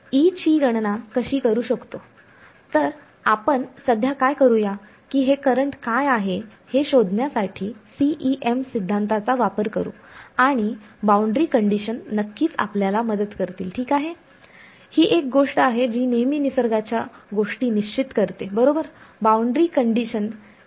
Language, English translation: Marathi, So, what we will do is we will use the CEM theory to find out what the current is and what will of course, help us is boundary conditions ok, that is the one thing that always fixes things in nature right boundary conditions will force